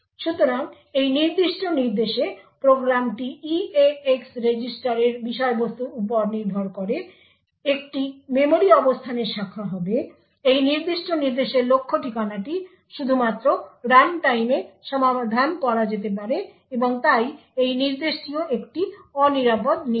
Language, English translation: Bengali, So, in this particular instruction the program would branch to a memory location depending on the contents of the eax register, the target address for this particular instruction can be only resolved at runtime and therefore this instruction is also an unsafe instruction